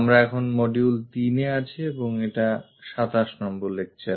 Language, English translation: Bengali, We are in module number 3 and lecture number 27